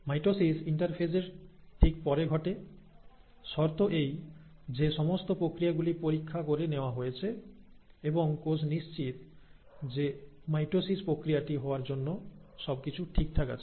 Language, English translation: Bengali, Mitosis follows right after a interphase, provided all the processes have been checked and the cell is convinced that everything is in order to undergo the process of mitosis